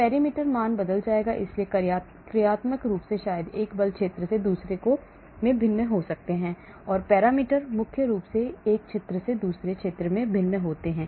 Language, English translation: Hindi, parameter values will change so the functional forms maybe differing from one force field to another and the parameters mainly differing from one field to another